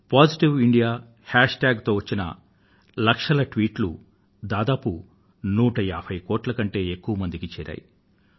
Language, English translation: Telugu, Lakhs of tweets were posted on Positive India hashtag , which reached out to more than nearly 150 crore people